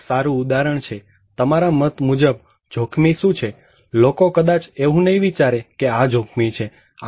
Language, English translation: Gujarati, Here is a good example; what do you think as risky, people may not think is risky